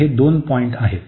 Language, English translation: Marathi, So, these are the two points